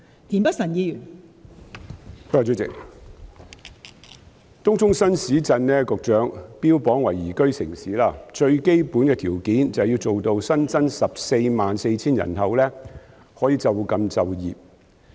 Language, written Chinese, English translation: Cantonese, 代理主席，局長把東涌新市鎮標榜為宜居城市，而最基本的條件，就是要做到新增的144000人口可以就近就業。, Deputy President the Secretary has advertised TCNET as a livable town and the most basic requirement of a livable town is that the additional population of 144 000 can get employment nearby